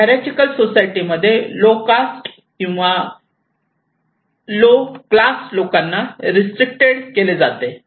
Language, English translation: Marathi, In case of very hierarchical societies, the low caste people or low class people are restricted